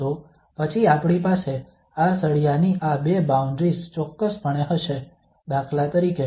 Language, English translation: Gujarati, So this is, then we will have definitely these two boundaries of this bar here, for instance